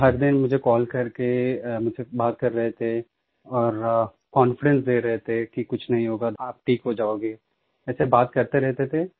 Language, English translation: Hindi, They would call me up and talk to me and give me confidence that nothing will happen, I would be okay, they kept on saying